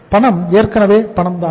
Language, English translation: Tamil, Cash is already cash